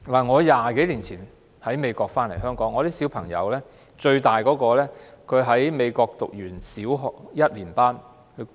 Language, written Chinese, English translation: Cantonese, 我20多年前由美國回港，我最大的孩子當時在美國唸完小學一年級。, I returned to Hong Kong from the United States more than 20 years ago after my oldest child had completed the first grade of elementary school in the United States